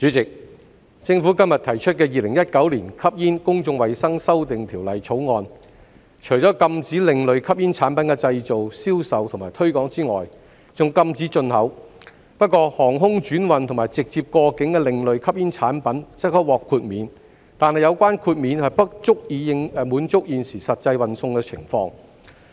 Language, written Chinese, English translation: Cantonese, 代理主席，政府今天提出的《2019年吸煙條例草案》，除了禁止另類吸煙產品的製造、銷售及推廣外，還禁止進口，不過航空轉運和直接過境的另類吸煙產品則可獲豁免，但有關豁免不足以滿足現時實際運送情況。, Deputy Chairman the Smoking Amendment Bill 2019 put forward by the Government today seeks to prohibit the manufacture sale and promotion as well as the import of alternative smoking products ASPs with the exemption of ASPs in transit or air transhipment cargos . However the exemption is not sufficient to satisfy the actual transport situation